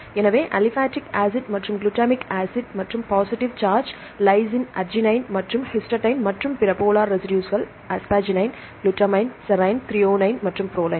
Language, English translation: Tamil, So, aspartic acid and glutamic acid and positive charge lysine arginine and histidine and the others are polar residues polar residues are asparagine, glutamine, serine, threonine and proline